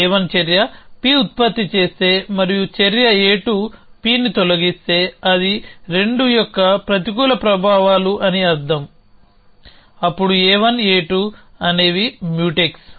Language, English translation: Telugu, So, if action a 1 produces P and if action a 2 deletes P, so that means it is a negative effects of a 2 then a 1, a 2 are Mutex